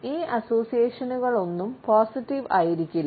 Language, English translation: Malayalam, None of these associations happens to be a positive one